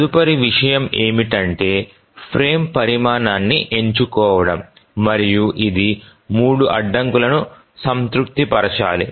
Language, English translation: Telugu, Now the next thing is to select the frame size and we have to see that it satisfies three constraints